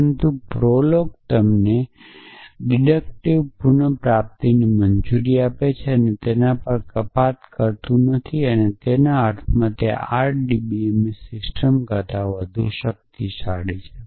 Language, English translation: Gujarati, But it does not do deductions on the way prolog allows it you deductive retrieval and in that sense it is more powerful than the RDBMS system